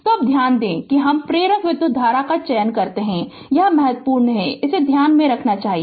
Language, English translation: Hindi, So, now note that we select the inductor current this is important will should keep it in your mind